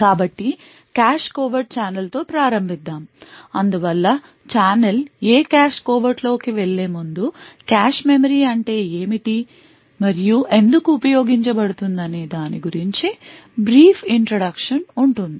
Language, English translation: Telugu, So, let us start with a cache covert channel so before we go into what cache covert a channel is we will have a brief introduction to what a cache memory is and why it is used